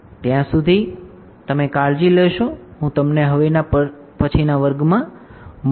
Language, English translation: Gujarati, Till then you take care, I will see you in the next class